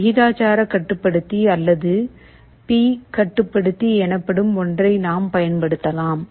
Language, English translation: Tamil, We can use something called a proportional controller or P controller